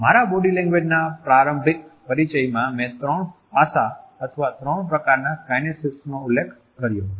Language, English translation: Gujarati, In my initial introduction to body language I had referred to three aspects or three types of kinesics because these are the original three types